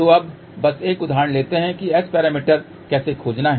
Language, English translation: Hindi, So, now, let just take an example how to find S parameters